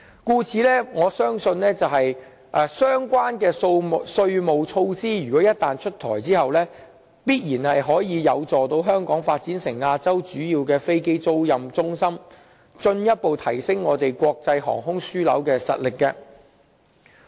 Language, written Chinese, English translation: Cantonese, 故此，我相信相關的稅務措施一旦出台，必然有助香港發展成為亞洲主要的飛機租賃中心，從而進一步提升我們作為國際航空樞紐的實力。, There I believe that the tax concession offer to be rolled out will be conducive to developing Hong Kong into a major aircraft leasing centre in Asia thereby enhancing further our competence as an international aviation hub